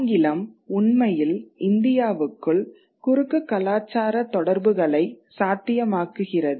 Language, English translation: Tamil, That English actually makes cross cultural communication within India possible